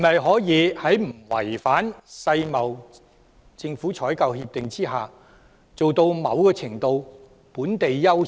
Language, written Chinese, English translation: Cantonese, 可否在不違反《世界貿易組織政府採購協定》下，做到某程度上的"本地優先"？, Can we give higher priority to local enterprises without violating the Agreement on Government Procurement of the World Trade Organization?